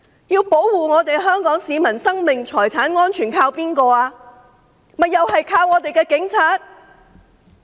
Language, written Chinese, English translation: Cantonese, 要保護香港市民生命財產安全，靠的是誰呢？, To protect the lives and properties of the people of Hong Kong on whom do we rely if not our Police?